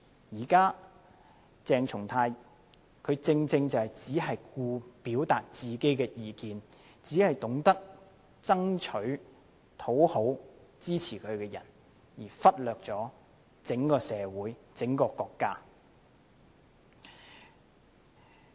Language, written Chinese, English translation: Cantonese, 現時鄭松泰議員正正只顧表達自己的意見，只懂得討好支持他的人，而忽略整個社會和國家。, Now Dr CHENG Chung - tai only cares about expressing his own views to please his supporters at the expense of the entire society and country